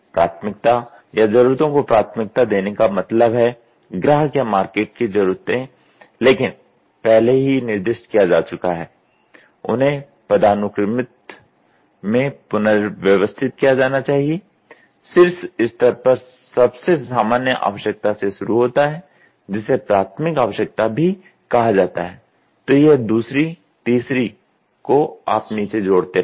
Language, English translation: Hindi, Need prioritisation or prioritising means customer slash market need specified earlier must be rearranged in hierarchical, beginning from the most general need at the top level, to that which is called as primary needs have then it keeps going down secondary tertiary you will keep adding it